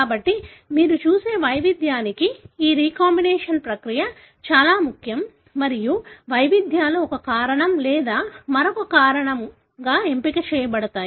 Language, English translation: Telugu, So, this process of recombination is very, very important for the variation that you see and the variations can be selected for one reason or the other